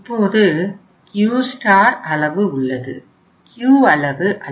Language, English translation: Tamil, We will have now the Q star level, not the Q level